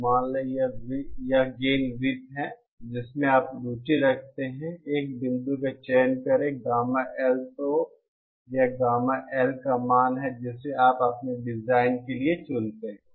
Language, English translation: Hindi, So suppose this is the gain circle that you are interested in, select a point, gamma L then that is the value of gamma L that you choose for your design